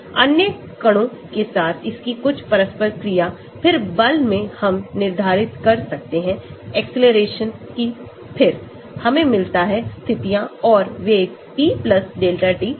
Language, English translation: Hindi, Some of its interactions with other particles, then from the force we can determine the accelerations then we get the positions and velocities at t + delta t